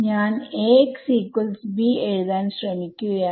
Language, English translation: Malayalam, So, I am trying to write Ax is equal to b